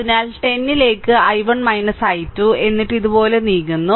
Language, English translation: Malayalam, So, 10 into i 1 minus i 2, then you are moving like this